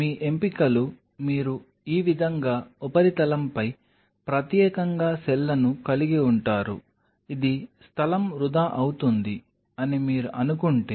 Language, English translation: Telugu, Your options are you have the cells exclusively on the surface like this, which is kind of if you think of it will be a wastage of space